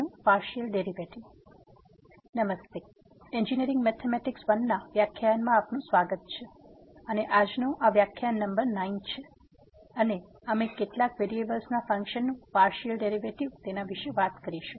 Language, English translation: Gujarati, Hello, welcome to the lectures on Engineering Mathematics I and today’s, this is lecture number 9 and we will be talking about Partial Derivatives of Functions of Several variables